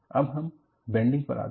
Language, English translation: Hindi, Then, we move on to bending